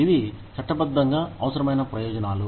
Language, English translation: Telugu, These are legally required benefits